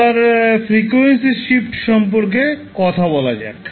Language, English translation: Bengali, Now let’ us talk about the frequency shift